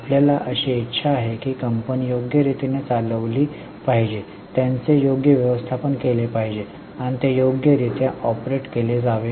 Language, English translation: Marathi, We want that company should be ruled properly, should be managed properly, should be operated properly